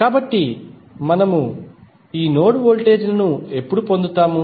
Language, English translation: Telugu, So, when we get these node voltages